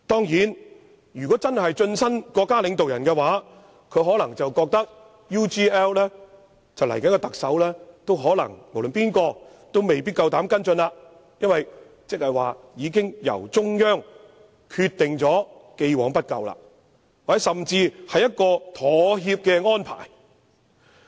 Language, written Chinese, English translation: Cantonese, 如果他真的晉身國家領導人，他可能會認為無論誰是下任特首，都未必膽敢跟進 UGL 事件，因這代表中央已決定既往不究，或甚至是一個妥協的安排。, If he is really promoted to the rank of state leaders he may think that whoever the next Chief Executive is no one will dare to follow up the UGL incident because the promotion is an arrangement to reflect that the Central Authorities has already decided to let bygones be bygones or even to compromise